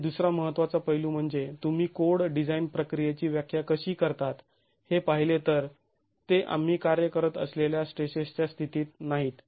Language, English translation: Marathi, The other important aspect is if you look at the way codes define design procedures, it is not at the state of stresses that we work